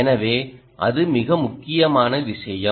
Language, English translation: Tamil, that is the most important thing